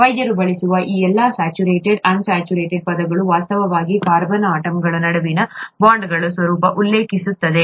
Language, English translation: Kannada, All these saturated unsaturated terms that are used by doctors, actually refer to the nature of the bonds between the carbon atoms